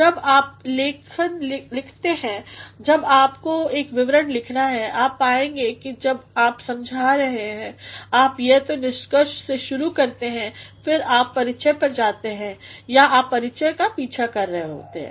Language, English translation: Hindi, When you need to write a paper, when you need to write a report you will find when you are explaining either you start with the conclusion and then you go to the introduction or you are following introduction